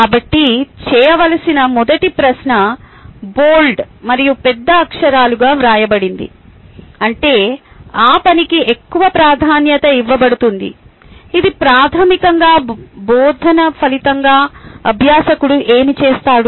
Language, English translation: Telugu, so the first question, the do, is written as bold and capital letters, which means the lot of emphasis is given for that do part, which is basically what learner does as a result of teaching